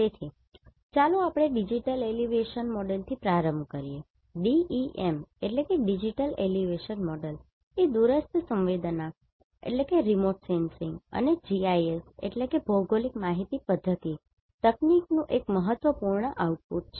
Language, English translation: Gujarati, So, let us start with the digital elevation model, digital elevation model is one of the significant output of remote sensing and GIS technique